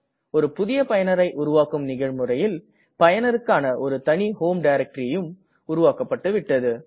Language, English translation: Tamil, In the process of creating a new user, a seperate home directory for that user has also been created